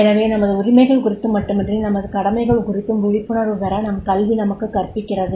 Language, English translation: Tamil, So, education educates us to make the aware about not only about our rights but also about our duties